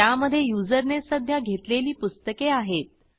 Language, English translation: Marathi, It has the books currently borrowed by the user